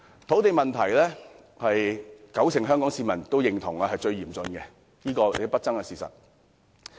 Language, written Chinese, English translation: Cantonese, 土地問題是九成香港市民認同是最嚴峻的，這是不爭的事實。, The land problem is the most acute problem in the minds of 90 % of Hong Kong people . This is an incontestable fact